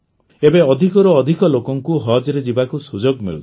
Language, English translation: Odia, Now, more and more people are getting the chance to go for 'Haj'